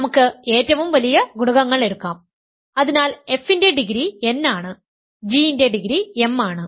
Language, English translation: Malayalam, We will take the largest coefficients so, the degree of f is n the degree of g is m